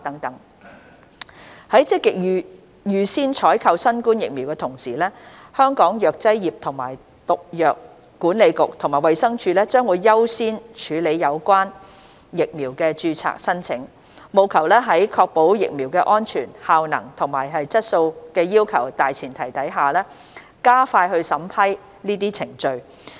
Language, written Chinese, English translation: Cantonese, 在積極預先採購新冠疫苗的同時，香港藥劑業及毒藥管理局及衞生署將優先處理有關疫苗的註冊申請，務求在確保疫苗的安全、效能和質素要求的大前提下，加快審批程序。, While proactively procuring COVID - 19 vaccines the Pharmacy and Poisons Board of Hong Kong and DH will accord priority to applications for registration of the relevant vaccines with a view to expediting the approval process while ensuring the safety efficacy and quality of the vaccines